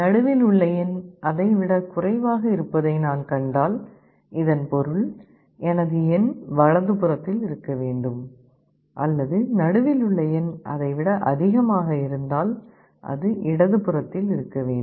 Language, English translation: Tamil, If I find the middle element is less than that, it means my element must be on the right hand side, or if it is other way around, then it must be on the left hand side